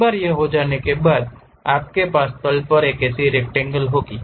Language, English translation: Hindi, Once it is done you will have that rectangle on the plane